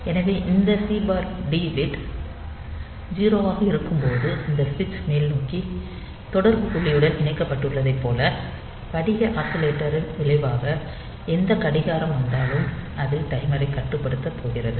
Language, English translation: Tamil, So, when this C/T bit is 0, as if this switch is connected to the upward contact point as a result from the crystal oscillator whatever clock is coming